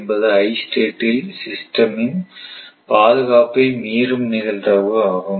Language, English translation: Tamil, So, and r I the probability of system state I causes breach of system security right